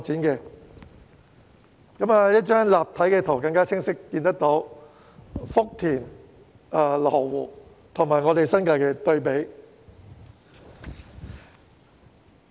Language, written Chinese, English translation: Cantonese, 從這張立體圖，大家可更清晰看到福田和羅湖與新界的對比。, In this 3D photo the contrast between FutianLo Wu and the New Territories is even clearer